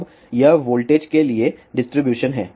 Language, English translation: Hindi, Now, this is the distribution for voltage